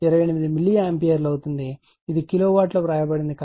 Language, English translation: Telugu, 28 milliAmpere , right this is you are written as kilowatt